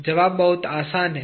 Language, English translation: Hindi, The answer is very simple